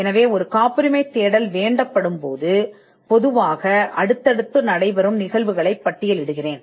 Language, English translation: Tamil, So, let me just list the list of sequences that would normally happen when a patentability search is requested for